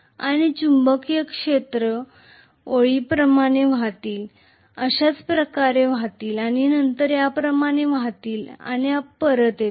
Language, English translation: Marathi, These magnetic field lines are going to flow like this, flow like this and then flow like this and come back